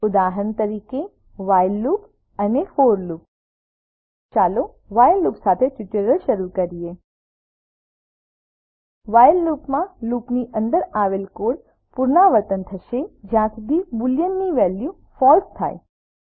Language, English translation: Gujarati, while loop and for loop Lets begin the tutorial with while loop In the while loop, the code inside the loop repeats till boolean evaluates to false